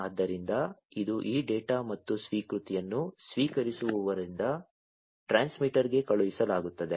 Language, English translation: Kannada, So, this is this data and the acknowledgment will be sent from the receiver to the transmitter